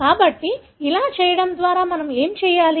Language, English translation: Telugu, So, by doing this what do we do